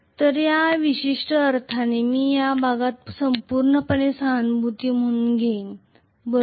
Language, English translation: Marathi, So in this particular sense I am going to have essentially this portion completely as the coenergy, right